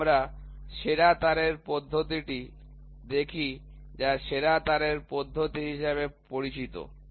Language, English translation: Bengali, So, let us look at the best wire method which is this method, which is called as the best wire method